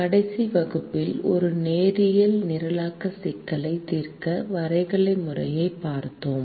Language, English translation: Tamil, in the last class we saw the graphical method to solve a linear programming problem